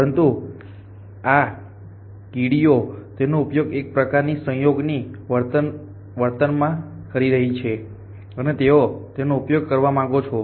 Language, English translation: Gujarati, But these ants are using it know kind of cooperative fashion and they want to used